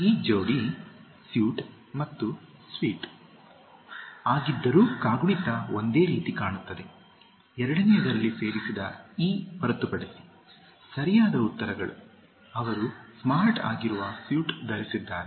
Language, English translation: Kannada, The pair is suit and suite although the spelling looks similar, except for the e added in the second one, correct answers, He wore a smart suit